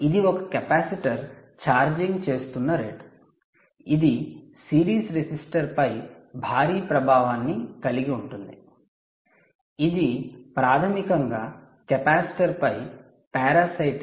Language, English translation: Telugu, so the this is the rate at which a capacitor is charged is charging will have a huge bearing on the series resistor, which is basically a parasite on the capacitor